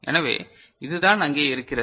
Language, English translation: Tamil, So, this is what is over there